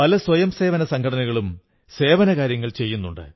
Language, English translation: Malayalam, Many volunteer organizations are engaged in this kind of work